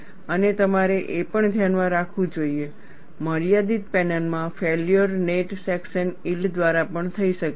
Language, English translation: Gujarati, And you should also keep in mind, in finite panels, failure can occur by net section yield also